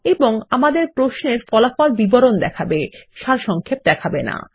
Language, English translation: Bengali, And our query will return details and not summaries